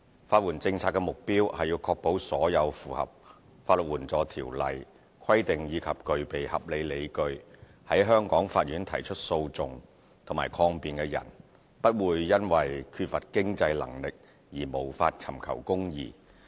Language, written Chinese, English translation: Cantonese, 法援政策的目標，是確保所有符合《法律援助條例》規定，以及具備合理理據在香港法院提出訴訟及抗辯的人，不會因缺乏經濟能力而無法尋求公義。, The policy objective of legal aid is to ensure that all those who comply with the regulations of the Legal Aid Ordinance and have reasonable grounds for pursuing or defending a legal action in the Courts of Hong Kong will not be denied access to justice due to a lack of means